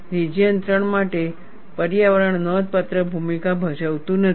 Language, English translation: Gujarati, For region 3, environment does not play a significant role